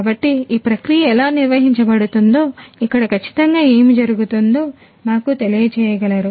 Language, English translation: Telugu, So, could you please tell us that how this process is conducted you know what exactly happens over here